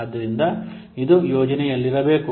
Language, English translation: Kannada, So this project is there